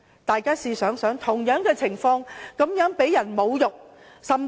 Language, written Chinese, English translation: Cantonese, 大家想想他們是如何遭人侮辱。, Come to think about what kind of insults they were subject to